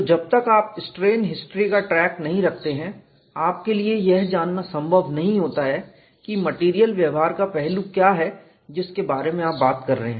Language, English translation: Hindi, So, unless you keep track of the strain history, it is not possible for you to know what is the aspect of the material behavior, you are talking about